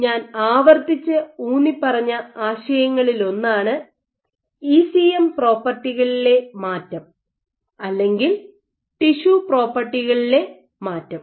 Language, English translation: Malayalam, So, one of the ideas that I repeatedly stressed on was modulation or change in ECM properties, or ECM or tissue properties